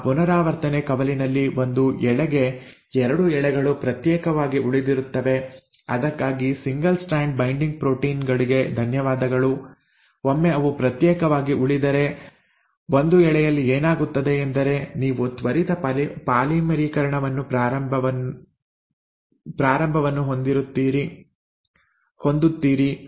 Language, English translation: Kannada, Now in that replication fork for one of the strands, the 2 strands remain separated thanks to the single strand binding proteins, once they remain separated for one of the strands, what happens is you start having a quick polymerisation